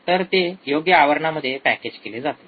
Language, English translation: Marathi, So, it is a packaged in a suitable case